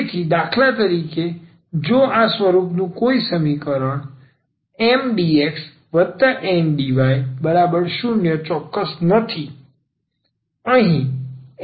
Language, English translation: Gujarati, So, for instance; so, if an equation of this form Mdx, Ndy is not exact